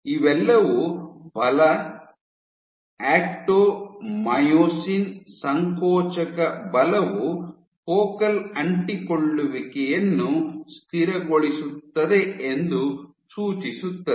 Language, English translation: Kannada, So, all these kinds of suggests that force, actomyosin contractile force is stabilizing the focal adhesions